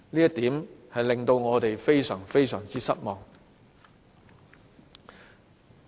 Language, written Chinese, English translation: Cantonese, 這點令我們非常失望。, We are extremely disappointed at this